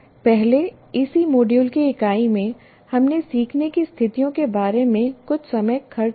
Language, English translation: Hindi, In our earlier unit in the same module, we spent something about learning situations